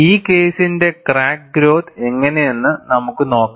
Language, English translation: Malayalam, And let us see, how the crack growth for this case is